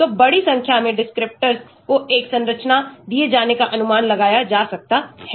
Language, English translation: Hindi, So, large number of descriptors can be estimated given a structure